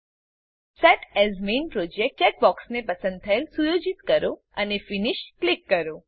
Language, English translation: Gujarati, Set the Set as Main Project checkbox selected and Click Finish